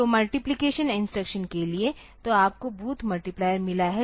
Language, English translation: Hindi, So, for multiplication instruction, so, you have got booths multiplier